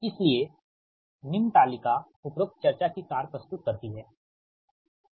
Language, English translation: Hindi, therefore, the following table summarizes the above discussion, right